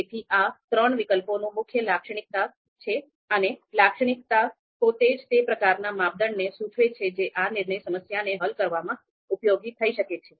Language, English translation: Gujarati, So this is the main characterization of these three alternatives and the characterization itself indicates about what kind of criteria could be useful in solving this decision problem